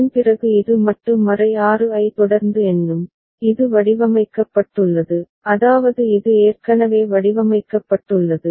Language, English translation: Tamil, After that it will continue to count modulo 6 the way, it was designed I mean, it is already designed alright